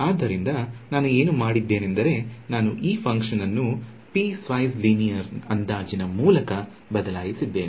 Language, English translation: Kannada, So, what I have done is I have replaced this function by piece wise linear approximation